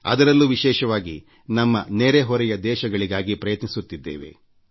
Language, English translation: Kannada, And very specially to our neighbouring countries